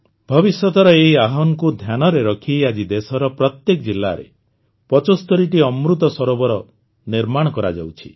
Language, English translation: Odia, Looking at this future challenge, today 75 Amrit Sarovars are being constructed in every district of the country